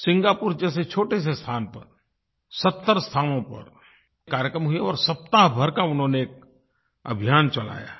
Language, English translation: Hindi, In a small country like Singapore, programs were organised in 70 places, with a week long campaign